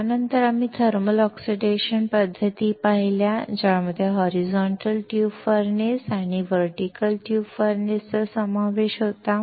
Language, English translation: Marathi, We then saw thermal oxidation methods, which included horizontal tube furnace and vertical tube furnace